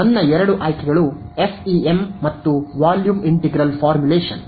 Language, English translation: Kannada, So, my two options are FEM and volume integral formulation ok